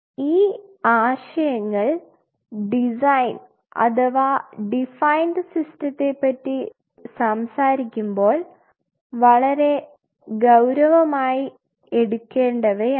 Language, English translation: Malayalam, These points have to be taken very seriously while we are talking about a design or a defined system